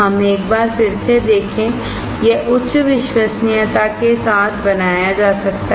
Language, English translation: Hindi, Let us see once again, it can be made identical with high reliability